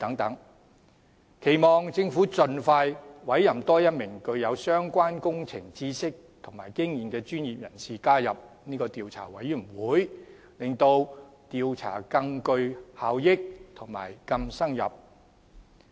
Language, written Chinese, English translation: Cantonese, 我期望政府盡快委任多一名具有相關工程知識和經驗的專業人士加入調查委員會，從而使調查能更具效率及更深入。, I hope that the Government will expeditiously appoint one more professional with relevant engineering knowledge and experience to join the Commission of Inquiry so as to increase the efficiency and depth of the inquiry